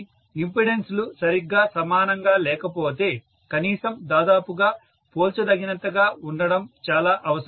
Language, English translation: Telugu, Right So, it is essential that the impedances are almost comparable if not exactly equal